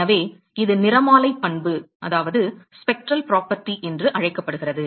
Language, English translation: Tamil, And so, this is called the spectral property